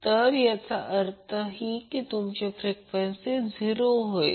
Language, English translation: Marathi, So it means that your frequency is 0